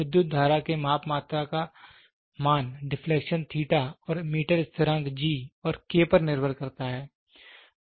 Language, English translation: Hindi, The value of the measured quantity current depends on the deflection theta and the meter constant G and K